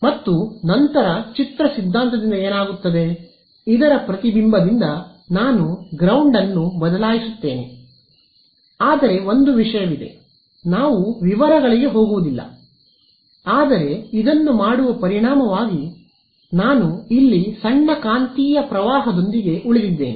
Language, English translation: Kannada, And, then what happens by image theory is, I replace the ground by the reflection of this, but there is one thing I mean we will not go into the detail, but as a result of doing this, I am left with a small magnetic current over here ok